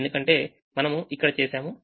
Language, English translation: Telugu, so we have done this